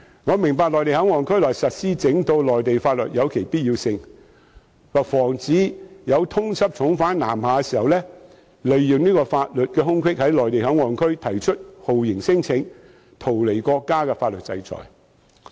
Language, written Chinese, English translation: Cantonese, 我明白在內地口岸區內實施整套內地法律有其必要性，可防止通緝重犯南下時利用法律空隙在內地口岸區提出酷刑聲請，以逃避國家的法律制裁。, I understand that it is necessary to implement the whole set of Mainland laws in MPA so as to prevent fugitives from evading sanctions by going southward to take advantage of the loophole in law and make a torture claim in MPA